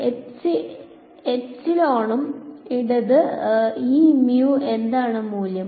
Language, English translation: Malayalam, Epsilon and mu and what are the value of epsilon and mu here